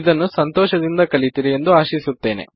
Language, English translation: Kannada, Hope you enjoyed learning them